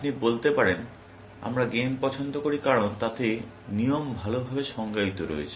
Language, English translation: Bengali, You can say games, we like, because they have well defined rules